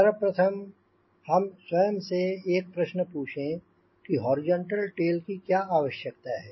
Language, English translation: Hindi, first of all, let us ask our self a question: why do you need horizontal tail